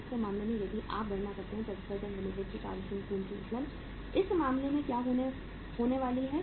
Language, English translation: Hindi, In the second case if you calculate, working capital leverage of XYZ Limited, in this case what is going to happen